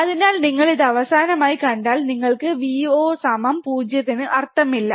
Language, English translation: Malayalam, So, if you see this finally, you get Vo equals to 0 has no meaning